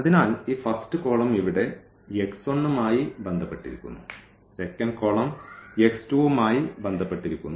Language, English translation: Malayalam, So, this first column is associated with x 1 here, this is with x 2, this is with x 3